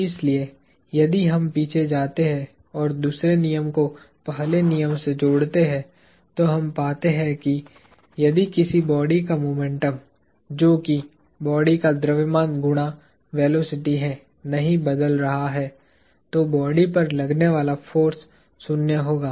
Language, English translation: Hindi, So, if we go back and relate the second law to the first law, what we find is that, if the momentum of a body, which is the mass times velocity of a body is not changing, then the force acting upon the body is zero